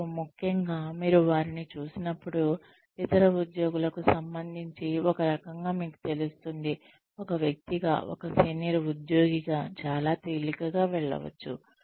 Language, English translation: Telugu, And especially, when you see them, in relation to other employees, it sorts of becomes clear to you, as a person that, so and so can very easily pass off, as a senior employee